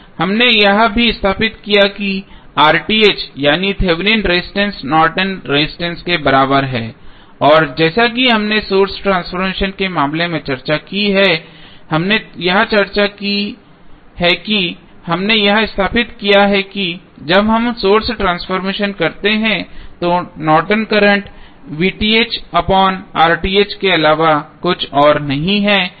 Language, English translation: Hindi, We have just stabilized that R Th that is Thevenin resistance is nothing but equal to Norton's resistance and as we discussed in case of source transformation this is what we discussed here we stabilized that when we carry out the source transformation the Norton's current is nothing but V Thevenin divided by R Thevenin